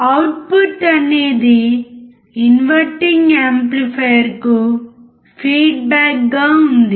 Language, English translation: Telugu, Output is feedback to the inverting amplifier